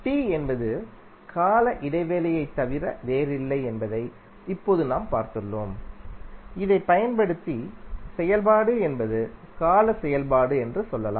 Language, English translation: Tamil, Now, as we have seen that capital T is nothing but time period and using this we can say that the function is periodic function